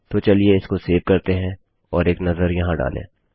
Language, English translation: Hindi, So, lets save that and have a look in here